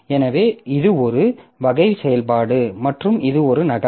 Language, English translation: Tamil, So, this is a copy and this is also a copy